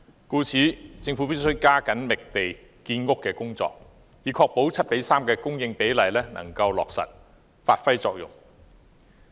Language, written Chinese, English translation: Cantonese, 故此，政府必須加緊進行覓地建屋的工作，以確保 7：3 的供應比例能夠落實。, Therefore the Government must speed up its efforts in identifying land for housing production so as to ensure that the split of 7col3 in supply can be realized